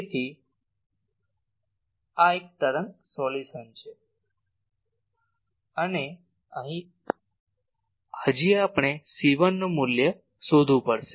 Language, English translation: Gujarati, So, this is an wave solution and here still we have to find the value of c 1 that will do